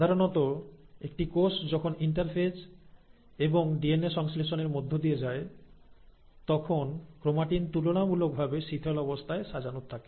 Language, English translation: Bengali, Now normally, in a cell which is undergoing interphase and DNA synthesis, the chromatin is relatively loosely arranged